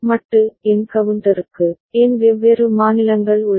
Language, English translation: Tamil, And for modulo n counter, n different states are there